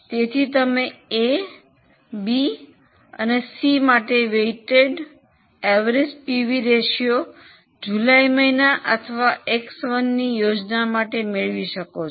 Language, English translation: Gujarati, So, you can get the weighted average PV ratio for A, B, C together for the month of July or plan X1